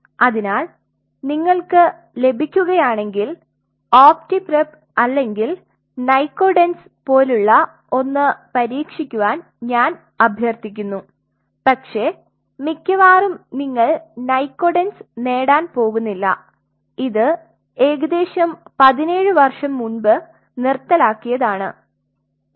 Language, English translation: Malayalam, So, I would rather request you try something like optipreap or nycodenz if you get it, but most likelihood you are not going to get nycodenz it nycodenz has been discontinued if I remember almost 17 years back and all those the groups who is to produce nycodenz